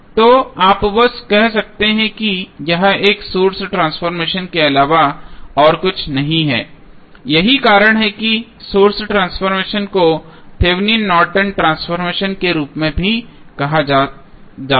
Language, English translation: Hindi, So, you can simply say this is nothing but a source transformation that is why the source transformation is also called as Thevenin Norton's transformation